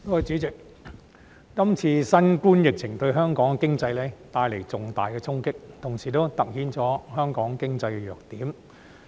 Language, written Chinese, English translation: Cantonese, 主席，這次新冠疫情對香港經濟帶來重大衝擊，同時突顯了香港經濟的弱點。, President the COVID - 19 epidemic has dealt a heavy blow to the economy of Hong Kong and at the same time highlighted the shortcomings of the Hong Kong economy